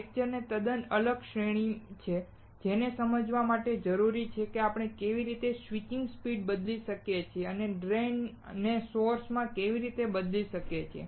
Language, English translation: Gujarati, There is a totally a separate series of lectures that are required to understand, how we can change the switching speed and how can we change the drain to source